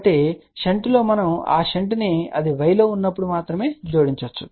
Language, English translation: Telugu, So, in shunt if we are adding that shunt we can add only when it is in y